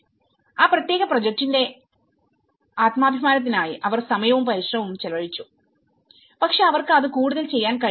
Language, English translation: Malayalam, They have invested time and effort for their self esteem of that particular project but they were not able to do it further